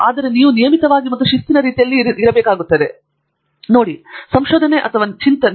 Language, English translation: Kannada, But, you need to put on a regular basis and in a disciplined manner, so that you can grow your small idea to a big one